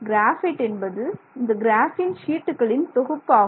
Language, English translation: Tamil, Graphite is full of graphene sheets